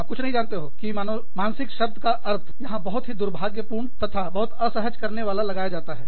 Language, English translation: Hindi, There is nothing, you know, the word, mental, has a very unfortunate, very uncomfortable, connotation to it